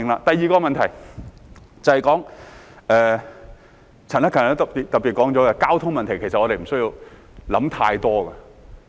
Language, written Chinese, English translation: Cantonese, 第二個問題，便是陳克勤議員也特別提到的交通問題，其實我們無須想太多。, The second issue is the traffic problem which was also highlighted by Mr CHAN Hak - kan . In fact we do not need to read too much into it